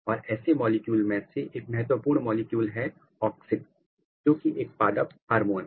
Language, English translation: Hindi, And, one of such molecule very important molecule is auxin, auxin is a plant hormone